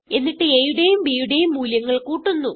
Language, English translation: Malayalam, Then we add the values of a and b